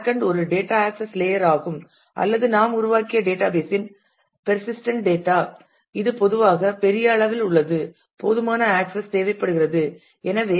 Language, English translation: Tamil, Backend is an actual data access layer or it is where the persistent data the database that we have created exist it is typically large in volume need sufficient access and so, on